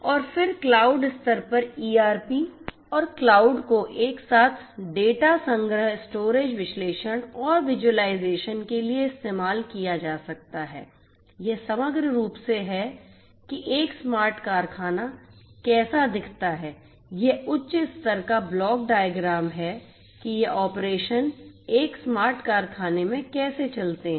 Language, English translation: Hindi, And then at the cloud level the ERP could be used ERP and cloud together could be used for data collection storage analysis and visualization, this is holistically how a smart factory looks like this is the high level block diagram of how these operations go on in a smart factory